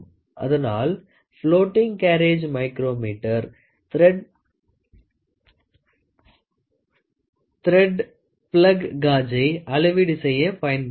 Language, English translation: Tamil, So, this floating carriage micrometer is used to measure the thread plug gauge